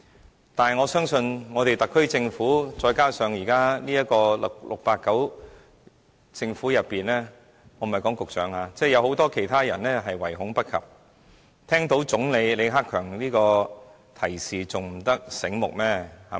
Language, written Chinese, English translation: Cantonese, 然而，我相信特區政府再加上現時的 "689" 政府——我說的不是局長——有很多人唯恐不及，聽到李克強總理這樣的提示還不醒目嗎？, Still upon hearing the hint from Premier LI Keqiang I believe that many officials of the SAR Government the current 689 Government―I do not mean the Secretary―are smart enough and cannot wait to make a quick response